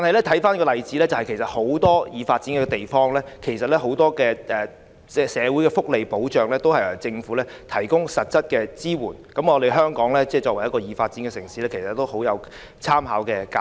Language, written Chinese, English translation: Cantonese, 綜觀這些例子，其實很多已發展地區的社會福利保障均由政府提供實質支援，對於作為已發展城市的香港，極具參考價值。, These examples show that social welfare protection in many developed countries is provided by their governments . Hong Kong being a developed city can take these examples as a valuable reference . Deputy President let me come back to the Bill